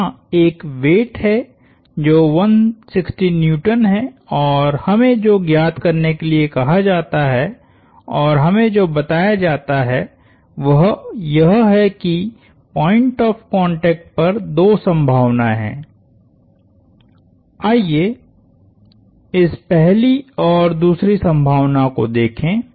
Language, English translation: Hindi, There is a weight which is 160 Newtons and we are asked to find, and what we are told is that, this point of contact has two possibilities, let us look at this first and the second